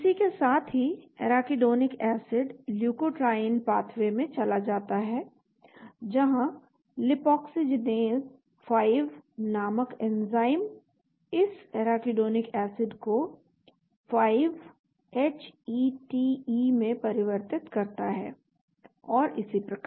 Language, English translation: Hindi, Simultaneously Arachidonic acid goes into the leukotriene pathway where the enzyme called the lipoxygenase 5 converts this Arachidonic acid into 5 HETE and so on